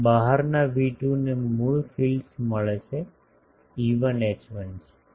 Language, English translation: Gujarati, And the outside V2 get the original fields E1 H1 exist